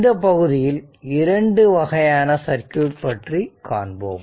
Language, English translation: Tamil, So, in this chapter, we will examine your 2 types of circuit